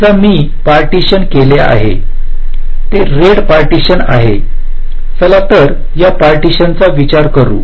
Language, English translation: Marathi, suppose i have partitioned, it is in the red partition